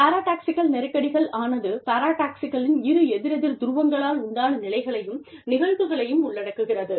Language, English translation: Tamil, Paradoxical tensions constitute the states and phenomena, caused by the two opposing poles of paradoxes